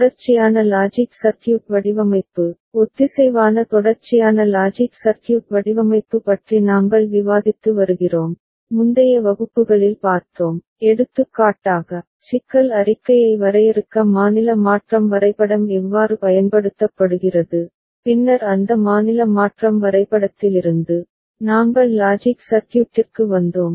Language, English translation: Tamil, We have been discussing sequential logic circuit design, synchronous sequential logic circuit design and we had seen in the previous classes, with example, how state transition diagram is used to define the problem statement and then from that state transition diagram, we arrived at logic circuit